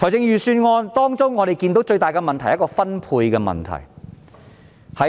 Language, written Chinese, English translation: Cantonese, 預算案最大的問題是分配問題。, Allocation is the biggest problem with the Budget